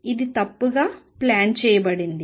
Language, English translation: Telugu, This is planed wrong